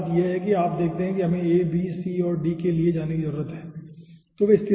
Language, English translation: Hindi, first thing is: you see we are aah, we need to go for a, b, c and d